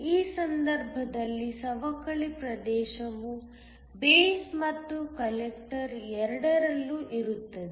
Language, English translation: Kannada, In this case the depletion region is in both the base and the collector